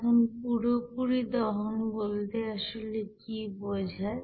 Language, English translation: Bengali, Now what is the complete combustion actually